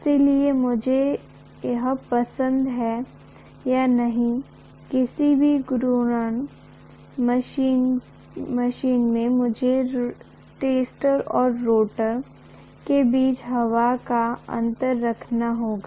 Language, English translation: Hindi, So whether I like it or not, in any rotating machine, I have to have air gap between stator and rotor